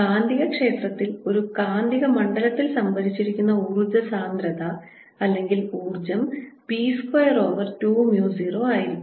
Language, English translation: Malayalam, so in the magnetic field the energy density or energy stored in a magnetic field is such that the energy density is given as b square over two mu zero